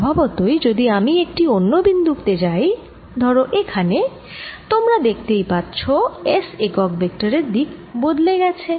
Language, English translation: Bengali, naturally, you see, if i go to a different point, which is say, here, you're going to see that s unit vector has changed direction